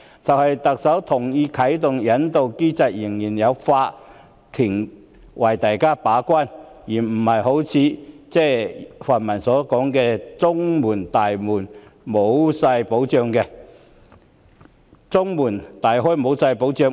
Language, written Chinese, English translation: Cantonese, 即使特首同意啟動引渡機制，仍有法院擔當把關角色，而不是像泛民所說的中門大開和沒有任何保障。, Even if the Chief Executive has agreed to activate the extradition mechanism the court can still perform the gatekeeping role contrary to what the pan - democrats have described as Hong Kong leaving the door wide open without any protection